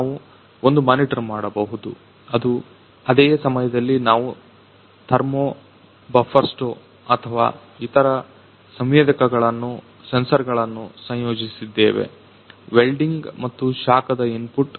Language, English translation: Kannada, We can one monitor and on the same time we have also integrated other sensors such as or thermo buffersto the wielding and the heat input